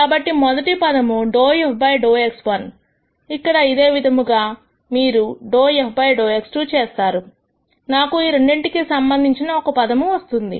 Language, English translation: Telugu, So, the rst term is dou f dou x 1 here similarly when you do dou f dou x 2, I will have a term corresponding to this two